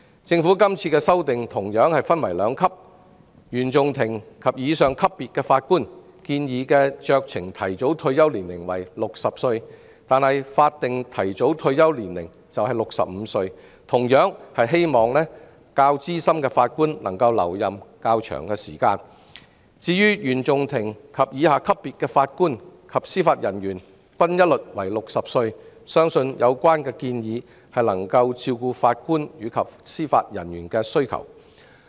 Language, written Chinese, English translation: Cantonese, 政府今次的修訂同樣分為兩級：原訟法庭及以上級別的法官的建議酌情提早退休年齡為60歲，法定提早退休年齡則為65歲，以鼓勵較資深的法官能留任較長時間；至於原訟法庭以下級別的法官及司法人員均一律為60歲，相信有關建議能夠照顧法官及司法人員的需要。, In the current legislative amendment exercise the Government also seeks to establish a two - tier system for Judges at the CFI level and above their discretionary and statutory early retirement ages will be set at 60 and 65 respectively to encourage senior Judges to serve for a longer period; for JJOs below the CFI level they will have a uniform early retirement age of 60 . This proposal should be able to address the needs of JJOs